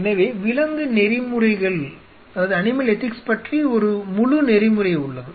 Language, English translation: Tamil, So, there is a whole protocol about animal ethics